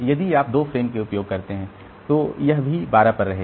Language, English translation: Hindi, If you use 2 frames then also it will remain at 12